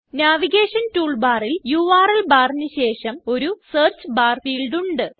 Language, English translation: Malayalam, Next to the URL bar on the navigation toolbar, there is a Search bar field